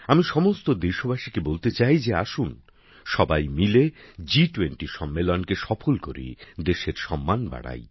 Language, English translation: Bengali, I urge all countrymen to come together to make the G20 summit successful and bring glory to the country